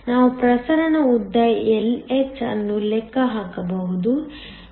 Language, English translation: Kannada, We can calculate the diffusion length Lh